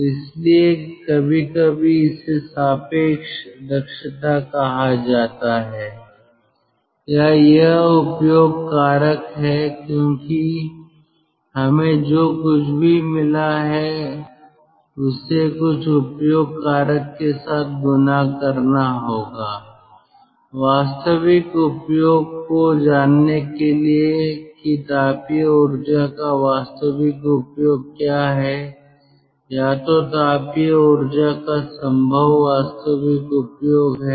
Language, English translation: Hindi, so thats why sometimes it is called [ret/relative] relative efficiency, ah, or it is utilization factor, because whatever we have got that has to be multiplied with some utilization factor to know the actual utilization, what is possible, of the thermal energy, actual utilization of the thermal energy which is possible